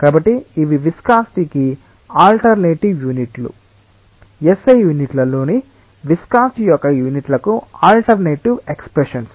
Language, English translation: Telugu, So, these are alternative units for the viscosity, alternative expressions for units of viscosity all in S I units